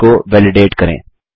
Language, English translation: Hindi, How to validate cells